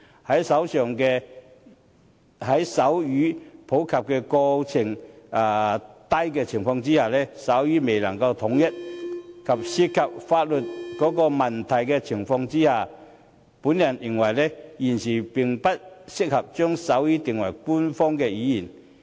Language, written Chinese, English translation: Cantonese, 在手語普及程度低、手語未能統一，以及涉及法律問題的情況下，我認為現時並不適合將手語定為官方語言。, Given the low popularity of sign language an absence of a common form of sign language and the legal implications I do not consider that it is now appropriate to make sign language an official language